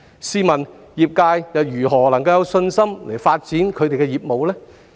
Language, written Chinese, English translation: Cantonese, 試問業界如何能有信心發展業務？, In this case how can the trade members develop their business with confidence?